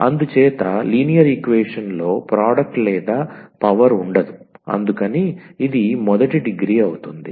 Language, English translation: Telugu, So, because in linear equation there will no product or no power, so it will be first degree